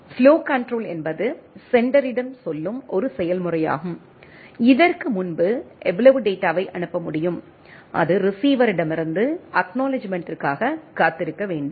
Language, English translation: Tamil, Flow control is a set of procedure that tells the sender, how much data it can transmit before, it must wait for an acknowledgement from the receiver right